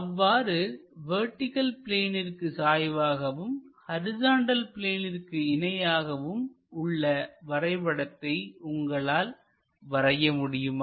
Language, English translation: Tamil, Let us look at another case where a line is inclined to vertical plane and it is parallel to horizontal plane